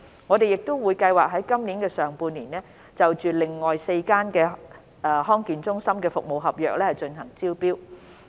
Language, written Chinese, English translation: Cantonese, 我們亦計劃在今年上半年內，就另外4間地區康健中心的服務合約進行招標。, We also plan to invite tenders for the service contracts of four other DHCs in the first half of this year